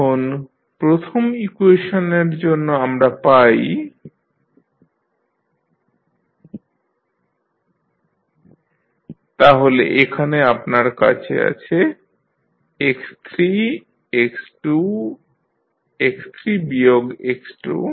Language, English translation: Bengali, Now, for the first equation what you are getting, dx1 by dt is equal to x3 minus x2, so here you have x3, you have x2, you have x3 minus x2